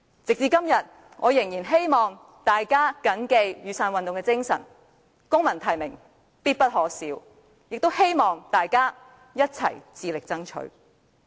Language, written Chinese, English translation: Cantonese, 直至今天，我仍然希望大家緊記雨傘運動的精神——"公民提名，必不可少"——也希望大家一起致力爭取。, Today I still hope that we can hold fast to the spirit of the Umbrella Movement―civil nomination is indispensable―and I also hope that we can strive for this goal together